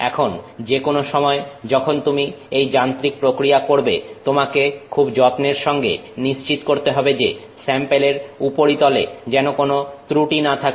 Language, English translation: Bengali, Now, any time you do this kind of mechanical, you know testing, you have to be very careful to ensure that you don't have any defects on this surface